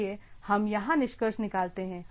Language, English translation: Hindi, So, let us conclude here